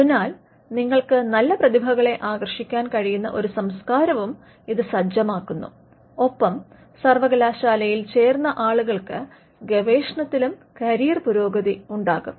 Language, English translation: Malayalam, So, it also sets a culture where you can attract good talent and people who joined the university will have a career progression in research as well